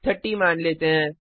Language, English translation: Hindi, Lets say 30